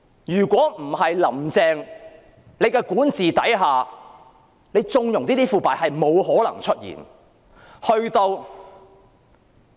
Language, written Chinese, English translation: Cantonese, 如果不是在"林鄭"的管治下加以縱容，這些腐敗是絕對不可能出現的。, Should there be no connivance under the governance of Carrie LAM I am sure such corruption could not have possibly existed